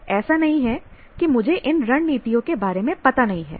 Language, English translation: Hindi, It is not as if I am not aware of the strategies